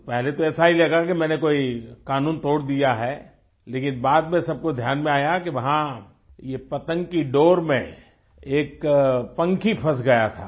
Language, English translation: Hindi, At first sight it seemed that I had broken some rule but later everyone came to realize that a bird was stuck in a kite string